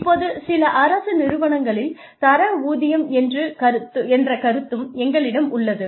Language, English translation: Tamil, Now, in some government organizations, we also have the concept of grade pay